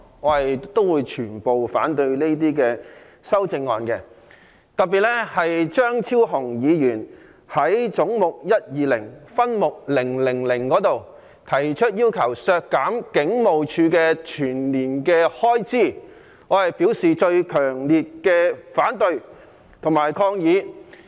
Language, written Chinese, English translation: Cantonese, 我反對所有修正案，特別是張超雄議員就總目122分目000要求削減香港警務處全年開支提出的修正案，我表示最強烈的反對及抗議。, I oppose all these amendments in particular the one proposed by Dr Fernando CHEUNG to reduce the annual expenditure of the Hong Kong Police Force under head 122 in respect of subhead 000 . I express my strongest opposition to and protest against this amendment